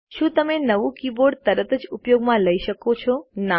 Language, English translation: Gujarati, Can you use the newly keyboard immediately